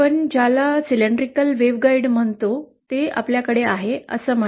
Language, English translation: Marathi, Say we have what we call a cylindrical waveguide